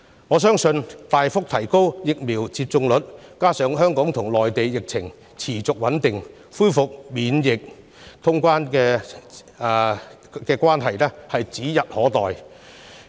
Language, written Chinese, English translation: Cantonese, 我相信大幅提升疫苗接種率，加上香港和內地疫情持續穩定，恢復免檢疫通關是指日可待。, I believe if the vaccination rate can be significantly increased and the epidemic situation in Hong Kong and the Mainland remains stable the day when we can resume quarantine - free traveller clearance will be just around the corner